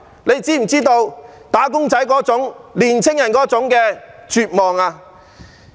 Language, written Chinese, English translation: Cantonese, 你是否知道"打工仔"、年青人那種絕望？, Can you feel the sense of desperation among wage earners and young people?